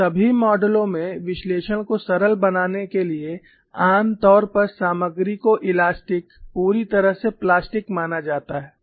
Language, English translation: Hindi, And in all the models to simplify the analysis usually the material is assumed to be elastic perfectly plastic